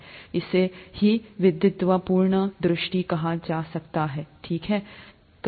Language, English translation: Hindi, This is what is called a scholarly view, okay